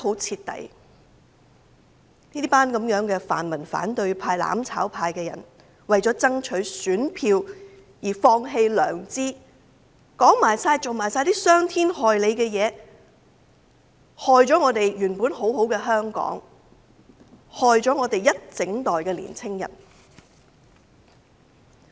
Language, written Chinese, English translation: Cantonese, 這群泛民反對派、"攬炒派"把市民欺騙得很徹底，為了爭取選票，放棄了良知，說出及做出傷天害理之事，損害了我們原本很美好的香港，亦傷害了我們一整代的青年人。, This bunch of pan - democrats in the opposition and mutual destruction camp have thoroughly deceived members of the public . To secure votes they have abandoned their conscience . Being immoral in words and deeds they have ruined Hong Kong which should have had very bright prospects and done harm to our entire generation of young people